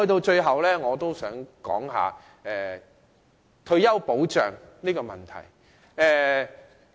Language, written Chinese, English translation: Cantonese, 最後，我想說一說退休保障的問題。, In closing I wish to talk about the issues of retirement protection